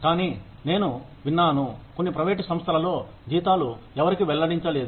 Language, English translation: Telugu, But, I have heard, in certain private organizations, your salaries are not disclosed to anyone